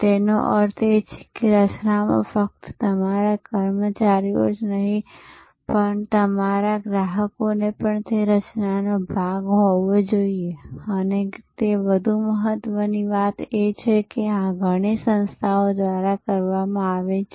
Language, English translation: Gujarati, So, which means that right from the formulation stage, not only your employees, but even your customers should be part of that formulation and more importantly, this is done by many organizations